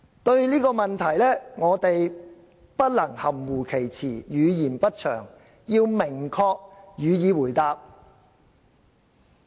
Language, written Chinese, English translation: Cantonese, 對這個問題，我們不能含糊其辭、語焉不詳，要明確予以回答。, Regarding this question we should not be ambiguous or vague; we must give a clear answer